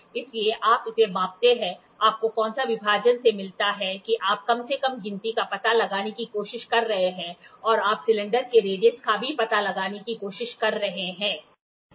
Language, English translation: Hindi, So, you measure this, what is a division you get from that you are trying to find out the least count and you are also trying to find out the radius of the cylinder